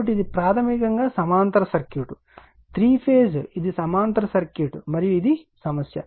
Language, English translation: Telugu, So, it is a basically parallel parallel, circuit right, three phase it is a parallel circuit and this is the your problem